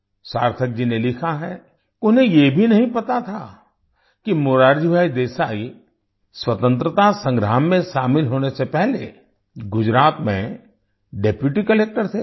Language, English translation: Hindi, Sarthak ji has written that he did not even know that Morarji Bhai Desai was Deputy Collector in Gujarat before joining the freedom struggle